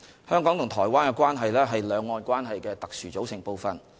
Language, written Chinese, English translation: Cantonese, 香港和台灣的關係，是兩岸關係的特殊組成部分。, The relationship between Hong Kong and Taiwan is a special component part of cross - Strait relationship